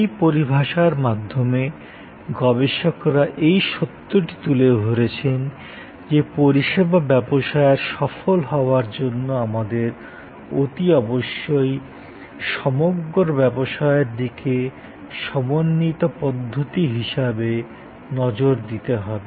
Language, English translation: Bengali, These researchers through this terminology highlighted the fact; that in service business to succeed, we must look at the business as a system, integrated system